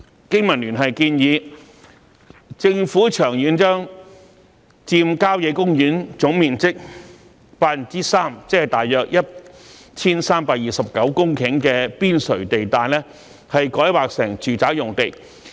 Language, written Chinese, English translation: Cantonese, 經民聯建議政府長遠將佔郊野公園總面積百分之三的邊陲地帶改劃成住宅用地。, BPA proposes that in the long run the Government should rezone 3 % of the total area of country parks on their periphery to residential use